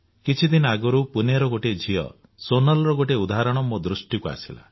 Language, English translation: Odia, A few days ago, I came across a mention of Sonal, a young daughter from Pune